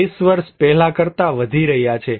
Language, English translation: Gujarati, Increasing than 20 years before